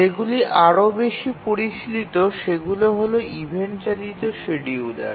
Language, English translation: Bengali, The ones that are much more sophisticated are the event driven schedulers